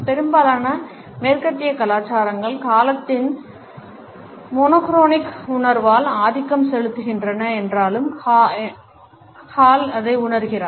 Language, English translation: Tamil, Hall feels that even though most of the western cultures are dominated by the monochronic perception of time